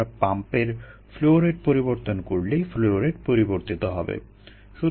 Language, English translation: Bengali, we change the flow rate of the pump, the flow rate will change